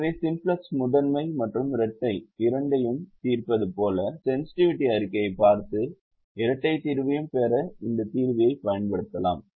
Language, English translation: Tamil, so just as the simplex solves both the primal and the dual, you can use this solver to get the solution to the dual also by looking at the sensitivity report